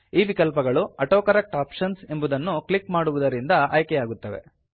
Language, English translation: Kannada, These options are selected by clicking on the AutoCorrect Options